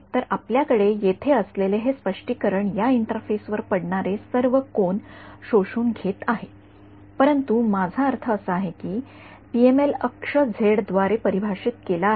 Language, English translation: Marathi, So, this interpretation that we had over here this is absorbing at all angles that are incident on this interface, but I mean the axis of PML is defined by z